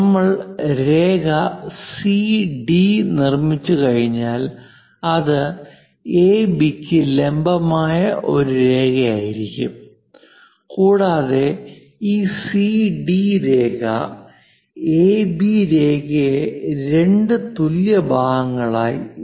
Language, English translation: Malayalam, Once we construct CD; it is a perpendicular line to AB and also this CD line; C to D line, whatever this is going to bisect AB into two equal parts